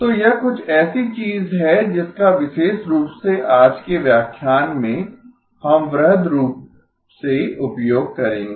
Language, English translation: Hindi, So this is something we will use quite extensively especially in today's lecture